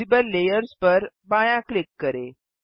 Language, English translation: Hindi, Left click visible layers